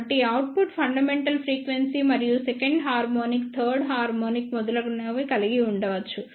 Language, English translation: Telugu, So, the output could be containing the fundamental frequency and the second harmonic third harmonic etcetera